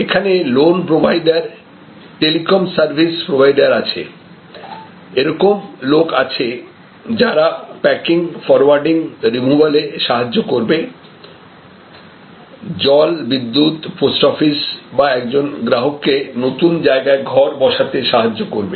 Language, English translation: Bengali, There are loan providers, there are telecom service providers or people, who will help to do packing and forwarding or removals, water, electricity, post office, all of these are related for a customer, enabling a customer to move to a new house